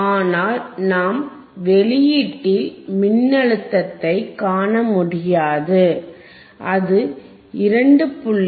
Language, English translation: Tamil, bBut still we cannot see the voltage at the output, right